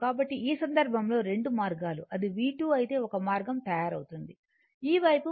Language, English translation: Telugu, So, in in this case , 2 way one way it is made if it is V 2, this side will be minus V 2 , right